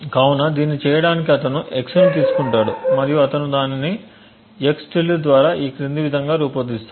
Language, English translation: Telugu, So, in ordered to do this what he does is he takes x and he devise it by x~ as follows